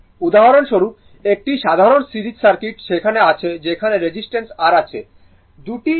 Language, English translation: Bengali, For example, a simple series circuit is there where resistance R